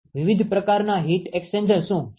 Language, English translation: Gujarati, What are the different types of heat exchangers